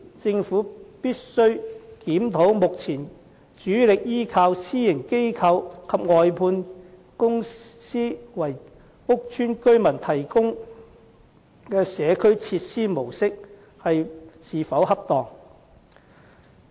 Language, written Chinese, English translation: Cantonese, 政府必須檢討目前主力依靠私營機構及外判管理公司為屋邨居民提供社區設施的模式是否恰當。, The Government must examine whether the current approach of heavy reliance on private companies and outsourced management companies in the provision of community facilities to residents of public housing is appropriate